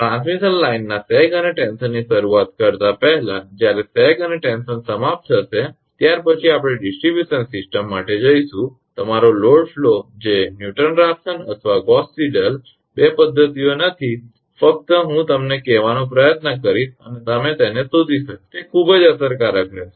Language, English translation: Gujarati, Just before starting the sag and tension of the transmission line when sag and tension will be over next we will go for distribution system your load flow which is not Newton Raphson or Gauss Seidel two methods only I will try to tell you and you will find it is it will be very effective